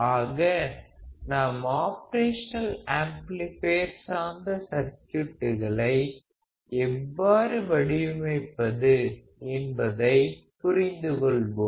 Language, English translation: Tamil, So, we understand how we can design operation amplifier based circuits